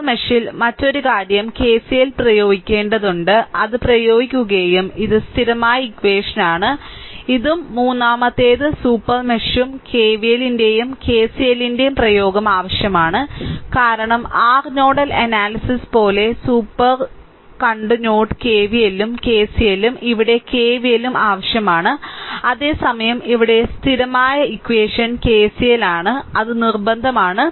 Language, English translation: Malayalam, So, and that and another thing is in the super mesh you have to apply KCL and that is applied and this is the constant equation right, let me clear it and the third one is super mesh require the application of both KVL and KCL because like your nodal analysis also we have seen super node KVL and KCL here also KVL is required at the same time the constant equation here is KCL, right that is must, right